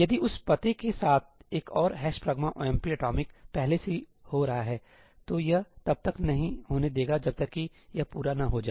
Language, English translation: Hindi, If there is another ëhash pragma omp atomicí already happening with that address, it is not going to allow this to happen until that is not complete